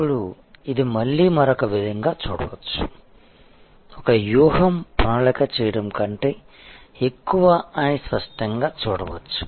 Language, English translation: Telugu, Now, this is again can be looked at from another different way that; obviously, a strategy is more of doing rather than planning